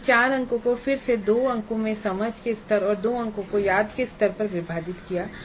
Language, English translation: Hindi, These 4 marks again are split into 2 marks at understand level and 2 marks at remember level